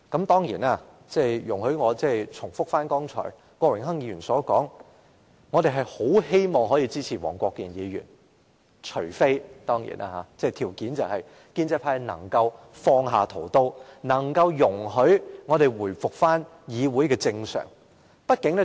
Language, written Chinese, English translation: Cantonese, 當然，容許我重複剛才郭榮鏗議員所說，我們很希望可以支持黃國健議員動議的中止待續議案，條件是建制派能放下屠刀，令議會回復正常運作。, Of course allow me to repeat what Mr Dennis KWOK said earlier which is we very much hope that we can support Mr WONG Kwok - kins adjournment motion on condition that the pro - establishment camp will forsake their hostility to let this Council return to normal business